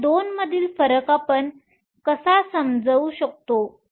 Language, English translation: Marathi, So, how do we understand the difference between these 2